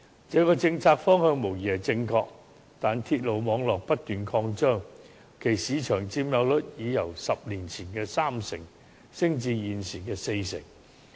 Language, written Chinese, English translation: Cantonese, 這個政策方向無疑是正確的，但鐵路網絡不斷擴張，其市場佔有率已由10年前的三成升至現時的四成。, This policy direction is undoubtedly correct . However with the continuous expansion of the railway network the market share of railway has risen from 30 % a decade ago to 40 % now